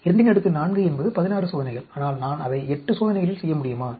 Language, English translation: Tamil, 2 power 4 is 16 experiments, but can I do it in 8 experiments